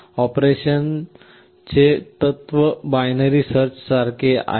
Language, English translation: Marathi, The principle of operation is analogous or similar to binary search